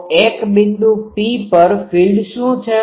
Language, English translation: Gujarati, So, what is the field at a point P